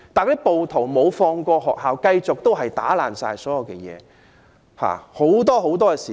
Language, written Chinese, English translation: Cantonese, 然而，暴徒並沒有放過學校，繼續毀壞校內所有設施。, However the rioters have not spared the school as they continued to vandalize all facilities on campus